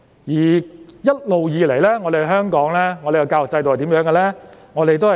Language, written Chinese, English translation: Cantonese, 一直以來，我們的教育制度是怎樣的呢？, So how has our education system been working?